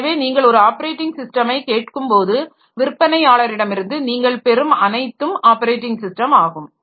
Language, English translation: Tamil, So, everything that you get from the vendor when you ask for an operating system is the operating system